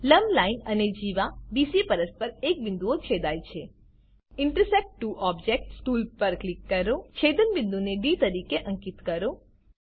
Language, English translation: Gujarati, Perpendicular line and Chord BC intersect at a point Click on Intersect Two objects tool, Mark the point of intersection as D